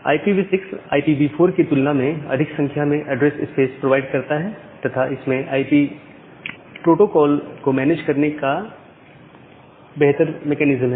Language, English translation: Hindi, IPv6 provides more number of address space compared to IPv4 and it has nice mechanism of managing the IP protocol